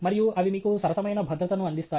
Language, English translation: Telugu, And they do provide you with fair bit of safety